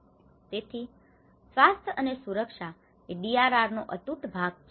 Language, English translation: Gujarati, So, that is how health and safety is an integral part of the DRR